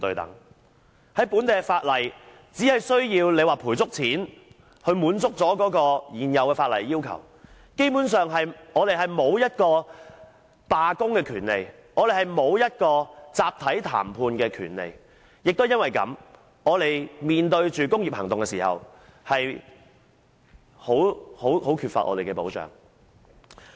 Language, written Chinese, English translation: Cantonese, 根據本地的法例，只需要作出足夠賠償，便可滿足現有法例的要求，基本上我們沒有罷工的權利，亦沒有集體談判的權利，也由於這原因，當我們面對工業行動時便十分缺乏保障。, Under the laws of Hong Kong it is considered to have met the legal requirements so long as full compensation is made . Basically we do not have the right to strike; nor do we have the right to collective bargaining . This is also why our protection is grossly lacking when we face industrial actions